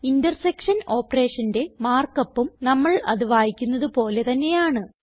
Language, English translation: Malayalam, The markup for an intersection operation is again the same as we read it